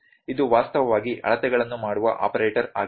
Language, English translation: Kannada, This is actually the operator who is doing the measurements